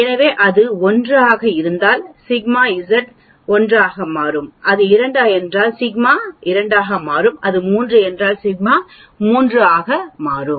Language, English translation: Tamil, So, if it is 1, sigma Z will become 1, if it 2, sigma Z will become 2, if it is 3, sigma Z will become 3 and so on